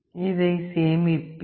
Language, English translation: Tamil, I will save this